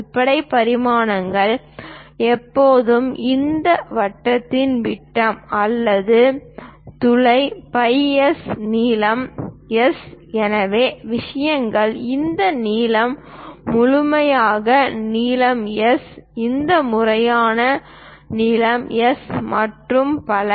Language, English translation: Tamil, The basic dimensions are always be the diameter of that circle or hole is phi S, the length is S, this length complete length is S, this complete length is S and so on, so things